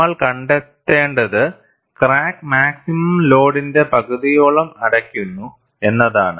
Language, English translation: Malayalam, And what we find is, the crack closes about half the maximum load